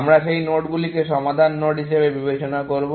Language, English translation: Bengali, So, we will treat those nodes as solve nodes